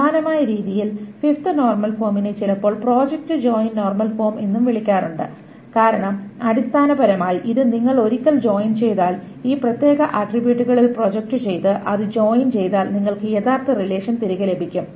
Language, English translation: Malayalam, The fifth normal form is also sometimes called project join normal form because essentially it says that once you join, once you project it out on this particular attributes and join it you get back the original relation